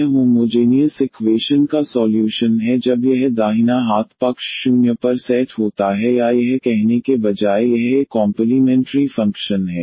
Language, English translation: Hindi, That is the solution of the homogeneous equation when this right hand side is set to 0 or this is rather to say it is a complementary function here